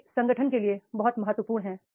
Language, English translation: Hindi, So they are very, very important for the organization